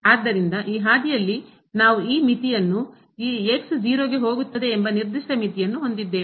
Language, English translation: Kannada, So, along this path we have this limit the given limit as the limit goes to